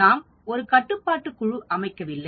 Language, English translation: Tamil, We have not considered a control group